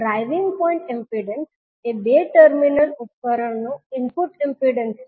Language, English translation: Gujarati, Driving point impedance is the input impedance of two terminal device